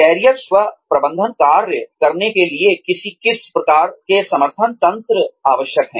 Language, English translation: Hindi, What kinds of support mechanisms, are necessary to make, career self management work